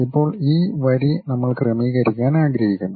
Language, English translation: Malayalam, Now, this line we would like to adjust